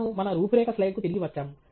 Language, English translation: Telugu, We are back to our outline slide